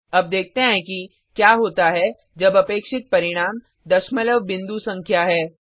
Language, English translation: Hindi, Now let us see what happens when the expected result is a decimal point number